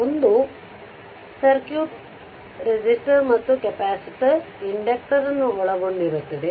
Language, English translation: Kannada, A circuit you are comprising a resistor and a capacitor and a circuit comprising a resistor and your inductor